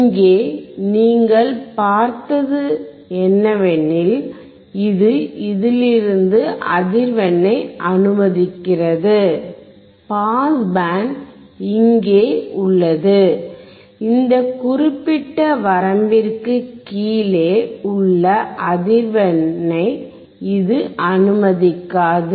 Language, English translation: Tamil, Here you will see that, it allows the frequency from this onwards, the pass band is here and it does not allow the frequency below this particular range